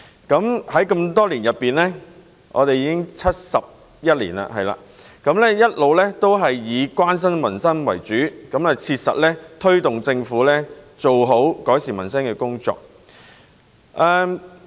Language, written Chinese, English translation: Cantonese, 工聯會成立至今71年，一直以關心民生為主，切實推動政府做好改善民生的工作。, Since its inception 71 years ago FTU has focused primarily on peoples livelihood effectively driving the Government in doing a proper job of improving peoples lot